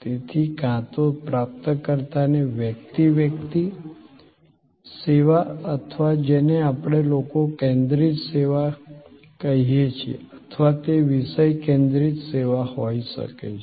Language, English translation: Gujarati, So, either services offered to the recipient as a person to person, service or what we call people focused service or it could be object focused service